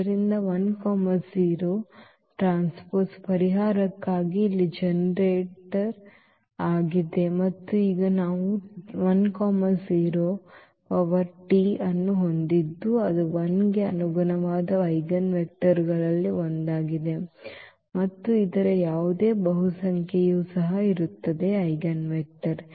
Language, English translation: Kannada, So, this 1 0 is the is the generator here for the solution and now that is what we have this 1 0 is one of the eigenvectors corresponding to 1 and any multiple of this will be also the eigenvector